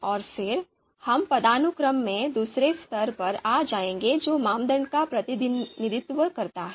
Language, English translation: Hindi, And then, we will come down to the second level in the hierarchy and the second level of the hierarchy represents the criteria